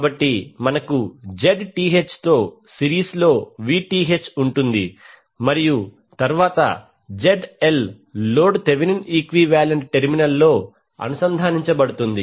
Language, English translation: Telugu, So, we will have Vth in series with Zth and then load ZL will be connected across the Thevenin equivalent terminal